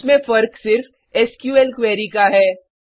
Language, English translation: Hindi, The only difference is in the SQL query